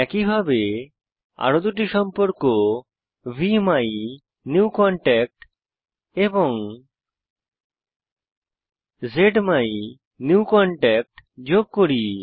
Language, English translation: Bengali, In the same manner lets add two more contacts VMyNewContact and ZMyNewContact